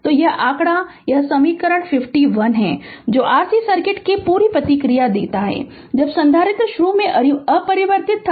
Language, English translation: Hindi, So, so this figure this equation 51 is that gives the complete response of the R C circuit, when the capacitor is initially uncharged right